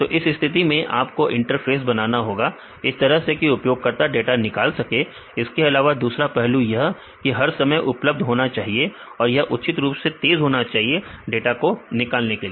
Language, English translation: Hindi, So, in this case you have to make the interface such a way that users can retrieve the data second aspect is that should be available all the time, that should be fast enough to show the data right